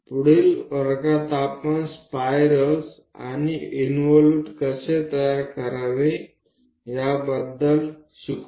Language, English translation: Marathi, In the next class we will learn about how to construct spiral and involute